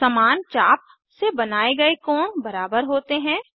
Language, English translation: Hindi, Inscribed angles subtended by the same arc are equal